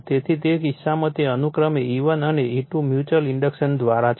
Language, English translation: Gujarati, So, in that case your that your E1 and E2 respectively / mutual inductions